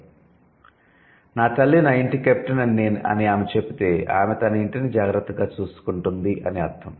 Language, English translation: Telugu, If she says, my mother is the captain of my house, so that means the mother is the one who is taking care of the house